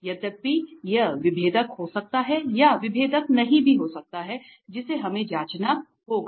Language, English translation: Hindi, Though it may be differentiable or may not be differentiable that we have to check